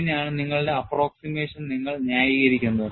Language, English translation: Malayalam, And this is how, you justify your approximation